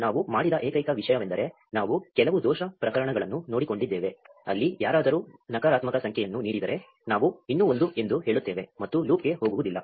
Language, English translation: Kannada, The only thing we have done is we have taken care of some error case, where if somebody feeds a negative number, we will still say 1, and not go into a loop